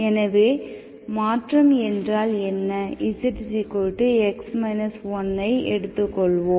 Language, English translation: Tamil, So let us, so what is the transformation, let z equal to x minus1